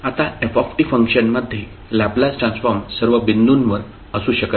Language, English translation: Marathi, Now, the function ft may not have a Laplace transform at all points